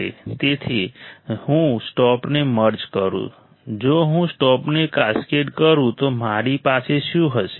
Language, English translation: Gujarati, So, if I merge both; if I cascade both what will I have